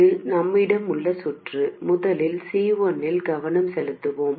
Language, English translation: Tamil, This is the circuit we have and first let's focus on C1